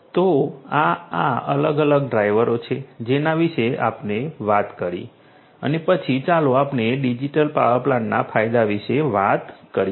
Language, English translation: Gujarati, So, these are these different drivers that we talked about and then let us talk about the benefits of the digital power plant